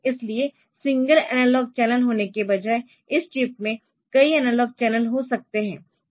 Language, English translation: Hindi, So, that chip instead of having a single analog channel